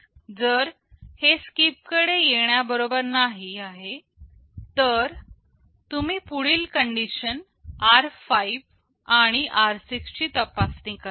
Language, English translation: Marathi, If it is not equal to straight away come to SKIP, then you check the next condition r5 and r6